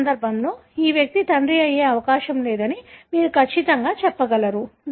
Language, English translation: Telugu, Certainly you will be able to tell this person is not likely to be father in this case